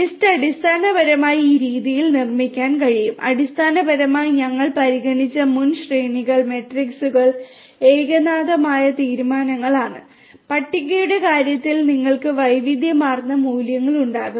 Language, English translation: Malayalam, List basically can be built in this manner it is so; so basically the previous arrays, matrices we considered are of homogeneous type and in the case of list you are going to have heterogeneous values